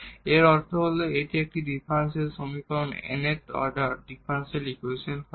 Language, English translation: Bengali, So, let this is the nth order differential equation